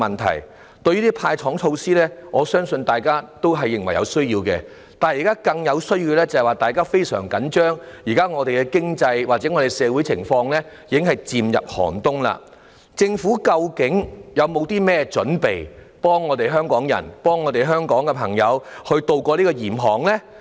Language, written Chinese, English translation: Cantonese, 這些"派糖"措施，我相信大家也認為是有需要的，但現在大家更深切關注的，是目前的經濟或社會情況已經漸入寒冬，政府究竟有否任何準備，幫助香港人、香港朋友渡過嚴寒呢？, These measures of giving away candies I believe are considered necessary by us all . But now our greater concern is that the present economic or social condition has gradually stepped into a severe winter . Has the Government actually made any preparations to help Hong Kong people weather the bitter cold?